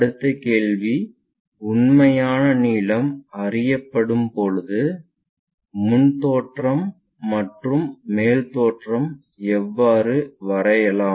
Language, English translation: Tamil, Let us ask another question, when true length is known how to locate front view and top view